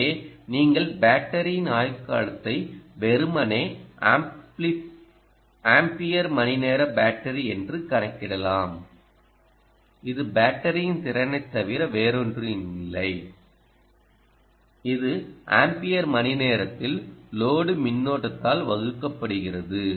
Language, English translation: Tamil, you have to take this i q into ah into account, ah, so you can calculate the life time of the battery as simply the ampere hour battery, which is nothing but the capacity of the battery, which is indicated in ampere hour ah divided by the load current, right, the total current